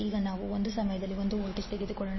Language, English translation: Kannada, Now let us take one voltage at a time